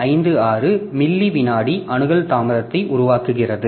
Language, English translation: Tamil, 56 millisecond access latency